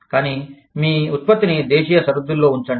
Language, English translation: Telugu, But, retain your production, within domestic borders